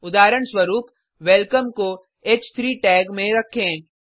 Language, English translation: Hindi, For example, put welcome in h3 tag